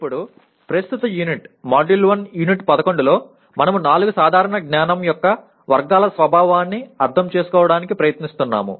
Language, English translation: Telugu, Now, in present unit M1U11 we are trying to understand the nature of four general categories of knowledge